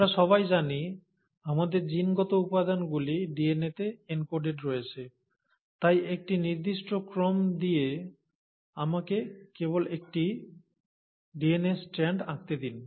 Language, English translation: Bengali, Now, we all know that our genetic material is encoded in DNA, so let me just draw a strand of DNA with a certain sequence